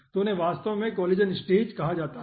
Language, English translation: Hindi, okay, so those are actually called collision stages